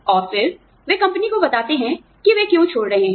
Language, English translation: Hindi, And then, they tell the company, why they are leaving